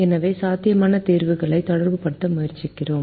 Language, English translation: Tamil, so we tried to relate the feasible solutions